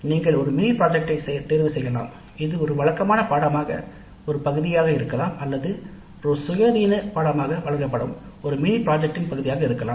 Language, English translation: Tamil, You can choose a mini project that is part of a regular course or a mini project offered as an independent course